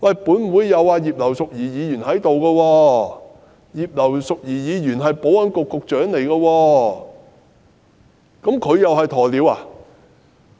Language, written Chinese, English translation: Cantonese, 本會的葉劉淑儀議員是前保安局局長，難道她同樣是"鴕鳥"嗎？, Mrs Regina IP in this Council was a former Secretary for Security . Is she saying that Mrs IP was likewise an ostrich?